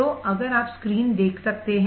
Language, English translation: Hindi, So, if you can see the screen